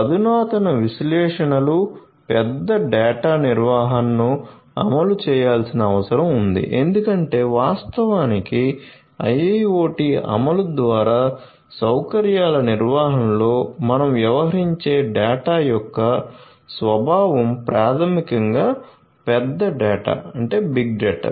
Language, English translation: Telugu, So, advanced analytics big data management needs to be implemented because actually the nature of the data that we deal in facility management through the IIoT implementations are basically the big data